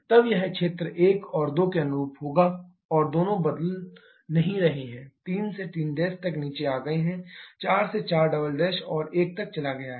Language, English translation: Hindi, Then it will be the area correspond to 1 and 2 both are not changing 3 has come down to 3 Prime 4 has moved to 4 double prime and 1